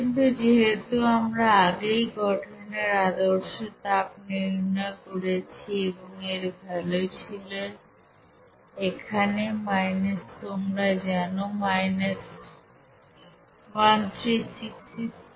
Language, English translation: Bengali, But since we have calculated earlier the standard heat of formation and its value was here minus you know 1366